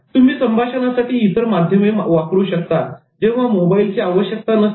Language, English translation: Marathi, You can also use other modes of communication such as email effectively when mobile is not required